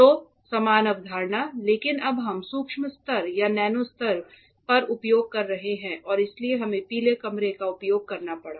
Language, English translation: Hindi, So, similar concept, but now we are using at a micro level or a nano level and that is why we had to use a yellow room